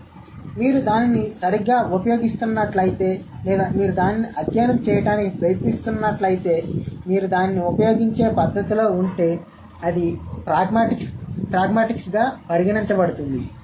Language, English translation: Telugu, So if you are using it properly or the way you use it, if you are trying to study that, then it will be considered as prigmatics